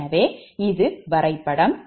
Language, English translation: Tamil, so this is the diagram